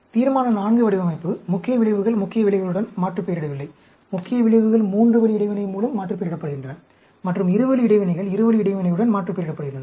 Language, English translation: Tamil, Resolution IV design, main effects are not aliased with main effects; main effects are aliased with the three way interaction; and two way interactions are aliased with two way interaction